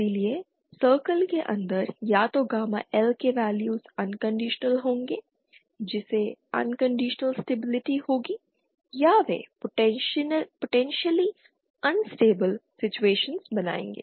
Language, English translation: Hindi, so, Either gamma L values inside the circle will be unconditionally stable will lead to unconditional stability or they will lead to potentially instable situations